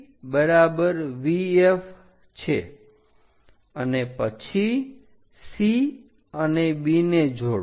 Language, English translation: Gujarati, So, VB is equal to VF and then joint C and B so, C and B we have to join